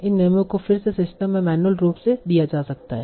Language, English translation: Hindi, These rules can be again given manually to the system and you can also learn these rules